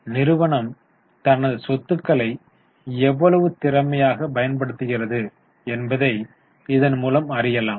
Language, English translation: Tamil, So, to know how efficiently the company is using its assets